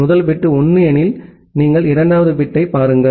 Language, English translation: Tamil, If the first bit is 1, then you look into the second bit